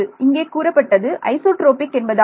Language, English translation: Tamil, Well that is what you said was about isotropic